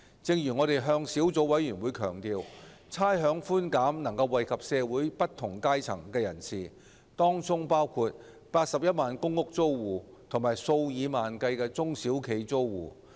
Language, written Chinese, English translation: Cantonese, 正如我們向小組委員會強調，差餉寬減能惠及社會不同階層人士，當中包括81萬公共出租房屋租戶和數以萬計的中小型企業租戶。, As we have emphasized to the Subcommittee rates concession can benefit people of different strata in society including the 810 000 tenants of public rental housing and tens of thousands of tenants of small and medium enterprises